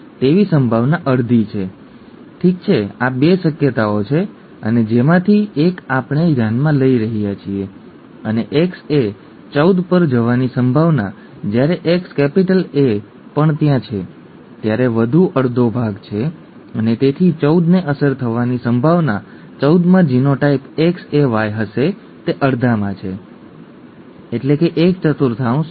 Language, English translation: Gujarati, Probability that 9 is a carrier is half, okay these are the 2 possibilities and one of which is we are considering and the probability of X small a going to 14 when X capital A is also there, is another half and therefore the the probability that 14 will be affected, 14 will have genotype X small A Y is half into half, that is one fourth